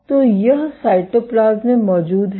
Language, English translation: Hindi, So, it is present in the cytoplasm